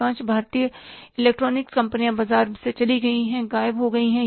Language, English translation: Hindi, Most of the Indian electronics companies have gone out of the market, they have disappeared